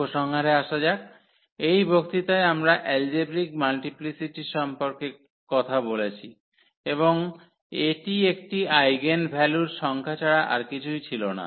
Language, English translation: Bengali, Coming to the conclusion so, in this lecture we have talked about the algebraic multiplicity and that was nothing but the number of occurrence of an eigenvalue